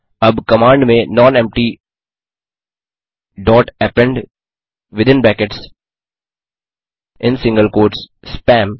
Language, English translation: Hindi, Now, in command nonempty dot append within brackets in single quotes spam